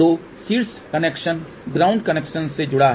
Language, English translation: Hindi, So, the top connection is connection to the ground connection